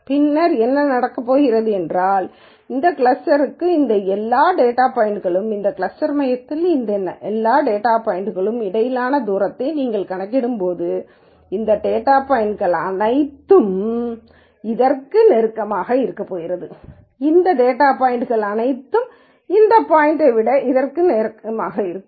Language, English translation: Tamil, Then what is going to happen is that when you calculate the distance between this cluster and all of these data points and this cluster center and all of these data points, it is going to happen that all these data points are going to be closer to this and all of these data points are going to be closer to this than this point